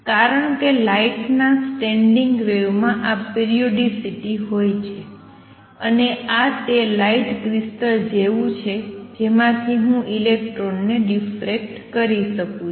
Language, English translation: Gujarati, Because standing wave of light have this periodicity, and this is like a light crystal from which I can diffract electrons and these experiments have also been performed